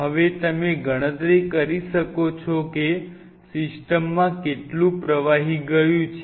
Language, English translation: Gujarati, Now, you can back calculate and figure out how much fluid has gone into the system